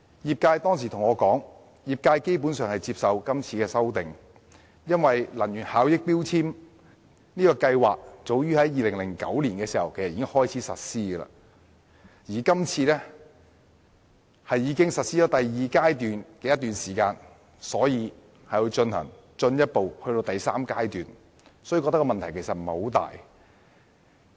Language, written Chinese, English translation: Cantonese, 業界當時對我說，他們基本上接受這次的修訂，因為強制性標籤計劃早在2009年開始實施，而第二階段亦已實施一段時間，所以現時推行第三階段應該問題不大。, Back then members of the sector told me that they basically accepted the current amendment . Given the implementation of MEELS has long commenced in 2009 and the second phase of it has also been operating for some time they thus considered there should not be much problem to launch the third phase now